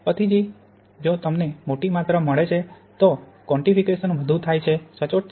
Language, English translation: Gujarati, Later on if you get larger amounts then the quantification becomes more accurate